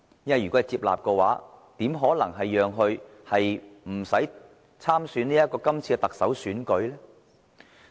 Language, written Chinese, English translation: Cantonese, 如果被接納的話，怎可能不讓他參加今屆的特首選舉呢？, Otherwise how could he be prohibited from running for the election of the next Chief Executive?